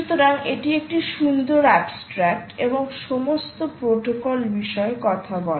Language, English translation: Bengali, so its a beautiful abstract and speaks the all about the protocol itself